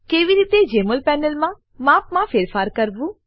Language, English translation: Gujarati, How to: * Modify the size of Jmol panel